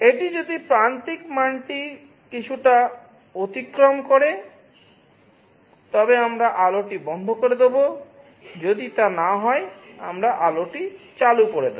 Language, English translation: Bengali, If it exceeds some threshold value we turn off the light; if not, we turn on the light